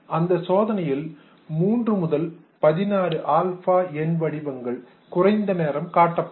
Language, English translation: Tamil, Now 3 to 16 alpha numeric characters were displayed for a shorter period of time